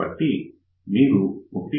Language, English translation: Telugu, So, if you take 1